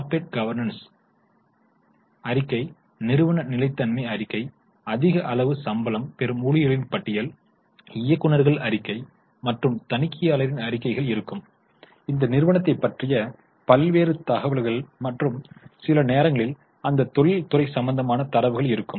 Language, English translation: Tamil, There will be corporate governance report, there will be sustainability report, there will be list of employees who are getting high level of salary, there would be directors report, there will be auditor's report, like that a variety of information about that company and sometimes about that industry is available